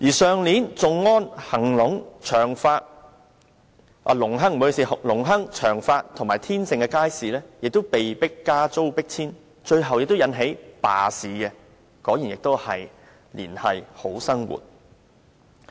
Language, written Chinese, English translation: Cantonese, 去年，頌安邨、隆亨邨、長發邨和天盛苑的街市亦被迫加租迫遷，最後引起罷市，果然同樣是"連繫好生活"。, Last year a rental increase was forced on the market stalls of Chung On Estate Lung Hang Estate Cheung Fat Estate and Tin Shing Court and the stall operators were forced to leave resulting in a strike by the stall operators . Indeed they have again linked people to a brighter future